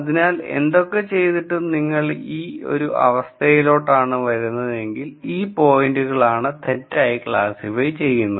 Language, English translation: Malayalam, So, whatever you do if you try to come up with something like this then, these are points that would be misclassified